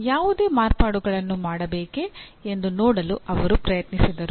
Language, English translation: Kannada, And tried to see whether any modifications need to be done